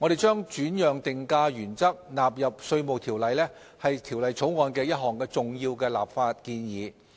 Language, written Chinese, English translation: Cantonese, 將轉讓定價原則納入《稅務條例》是《條例草案》的一項重要立法建議。, An important legislative proposal of the Bill is the codification of the transfer pricing principles into the Inland Revenue Ordinance IRO